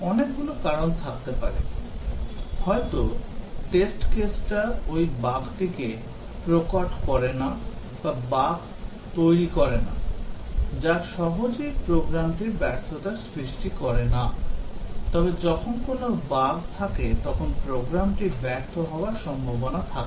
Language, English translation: Bengali, Several reasons may be the test case did not expose that bug or may be that the bug did not make, it was not easily causing a failure of the program, but then when there a bugs the program is likely to fail